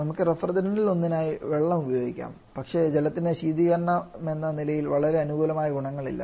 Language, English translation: Malayalam, We can also use water as a as one of the different but water has not very favourable property as refrigerant